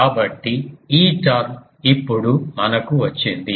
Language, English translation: Telugu, So, this term we have got now